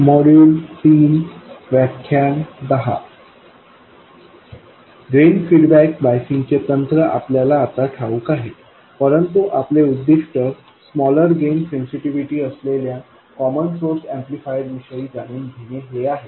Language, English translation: Marathi, We now know the technique of drain feedback biasing, but our aim is to realize a common source amplifier with a smaller gain sensitivity